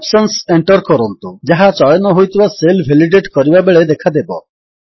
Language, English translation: Odia, Lets enter the options which will appear on validating the selected cell